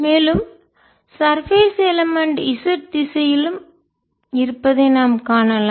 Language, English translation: Tamil, so we can see this surface element moving along with y direction